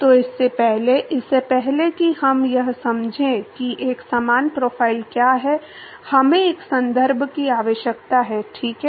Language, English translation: Hindi, So, before that, before we even understand what is a similar profile, we need to have a reference, right